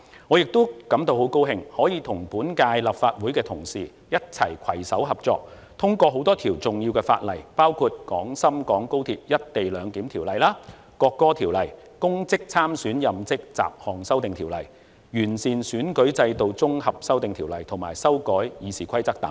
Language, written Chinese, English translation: Cantonese, 我亦很高興可以與本屆建制派同事攜手合作，通過多項重要的法例，包括《廣深港高鐵條例》、《國歌條例》、《2021年公職條例》、《2021年完善選舉制度條例》以及修改《議事規則》等。, Furthermore by working hand in hand with the pro - establishment colleagues of this term I am delighted to see the passage of a number of important pieces of legislation including the Guangzhou - Shenzhen - Hong Kong Express Rail Link Co - location Ordinance National Anthem Ordinance Public Offices Bill 2021 Improving Electoral System Bill 2021 and the amendments to the Rules of Procedure